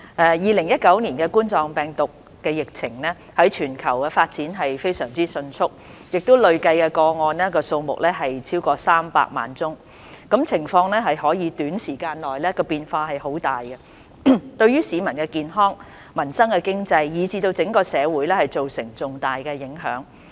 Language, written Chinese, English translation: Cantonese, 2019冠狀病毒病的疫情在全球傳播非常迅速，累計個案數目超過300萬宗，情況更可在短時間內出現很大變化，對市民健康、民生經濟，以至整個社會造成重大影響。, Coronavirus disease - 2019 COVID - 19 has been spreading very rapidly around the globe with the cumulative number of cases exceeding 3 million and the situation being highly changeable over a short period of time . This has significantly impacted the health of the public peoples livelihood the economy as well as the entire society